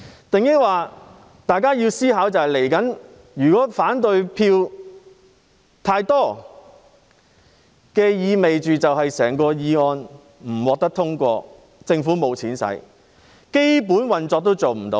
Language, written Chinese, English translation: Cantonese, 大家要思考一下，如果反對票太多，意味着整項議案不會獲得通過，政府部門便無錢可用，連基本運作都不行。, We must give it some thoughts . If there are too many negative votes it implies that the motion will not be passed . Government departments will have no money to spend hence even the basic operations cannot be maintained